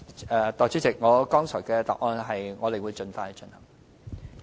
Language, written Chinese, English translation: Cantonese, 代理主席，我剛才的答覆是，我們會盡快進行。, Deputy President my reply earlier is that we will take forward the work as soon as possible